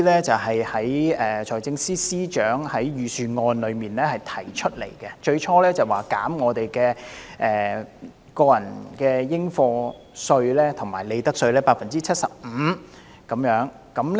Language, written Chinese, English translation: Cantonese, 最初，財政司司長在財政預算案中提出，減免薪俸稅、個人入息課稅和利得稅 75%。, Initially the Financial Secretary introduced a proposal concerning tax concessions in the Budget to reduce 75 % of salaries tax tax under personal assessment and profits tax